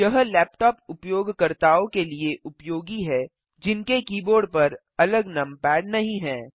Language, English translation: Hindi, This is useful for laptop users, who dont have a separate numpad on the keyboard